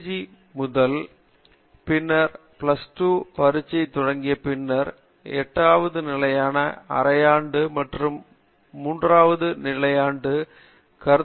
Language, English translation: Tamil, They start with the LKG entrance, then plus two final exam, then some eighth standard half yearly and then third standard quarterly